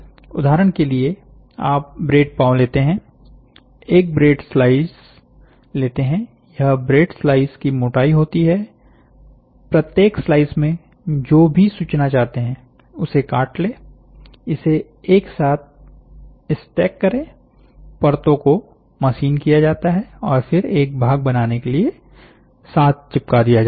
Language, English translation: Hindi, For example, you take a bread loaf, take individual bread slice, this bread slice thickness is there, cut whatever information you want in each slice, than stack it together, the layers are machined and then glue together to form a part